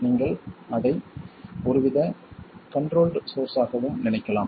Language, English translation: Tamil, I can also think of that as some sort of a controlled source